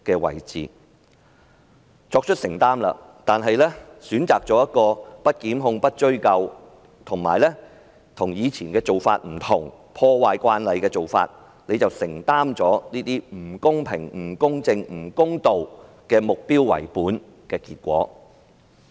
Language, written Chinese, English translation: Cantonese, 她雖然作出承擔，但選擇了不檢控、不追究及與以往做法不同、破壞慣例的做法，承擔了這些不公平、不公正、不公道的目標為本的結果。, If she has made a responsible decision but she opts not to institute prosecution not to pursue and to depart from the past practice and damage convention she is now responsible for the inequitable biased and unfair based outcome